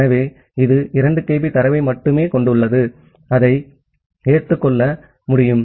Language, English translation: Tamil, So, it has only 2 kB of data which it can accept